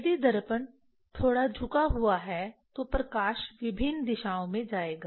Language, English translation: Hindi, If mirror is slightly tilted or light will go in different directions